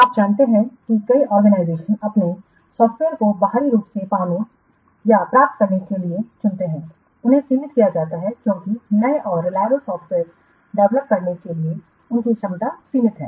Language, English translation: Hindi, You know that many organizations they choose to obtain or to get their software externally given their limited because their capability for developing new and reliable software is limited